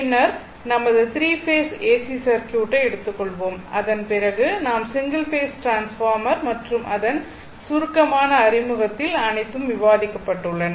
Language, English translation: Tamil, And then, we will take that your three phase AC circuits and after that, we will consider single phase transformer and I and in the brief introduction, everything has been discussed